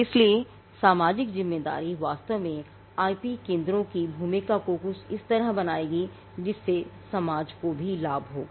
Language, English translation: Hindi, So, the social responsibility will actually make the IP centres role as something that will also benefit the society